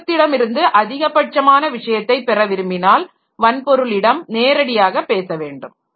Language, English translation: Tamil, So, the if you are trying to get maximum from the system, then you should talk directly to the hardware